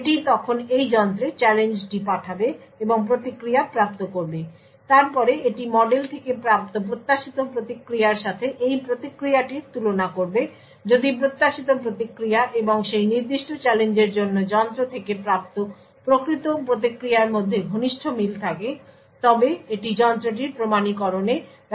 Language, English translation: Bengali, It would then send out the challenge to this device and obtain the response; it would then compare this response to what is the expected response obtained from the model, close match between the expected response and the actual response obtained from the device for that particular challenge would then be used to authenticate the device